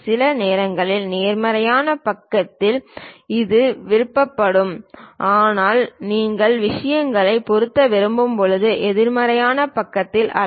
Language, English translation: Tamil, Sometimes on positive side it is prefer, but not on the negative side when you want to fit the things and so on